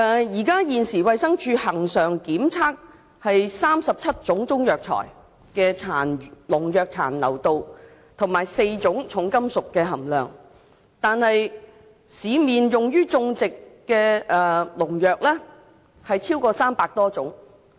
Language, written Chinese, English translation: Cantonese, 現時衞生署恆常檢測中藥材中37項農藥殘留量及4項重金屬含量；但市面用於種植的農藥超過300多種。, At present DH conducts regular tests on 37 pesticide residues and four heavy metals in Chinese herbal medicines but over 300 types of pesticides in the market are used for growing herbal medicines